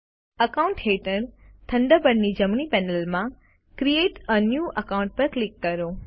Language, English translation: Gujarati, From the right panel of the Thunderbird under Accounts, click Create a New Account